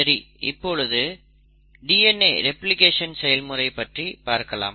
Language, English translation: Tamil, So let us look at how DNA replication happens